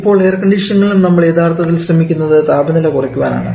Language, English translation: Malayalam, Now, in air conditioning also here actually looking for reducing the temperature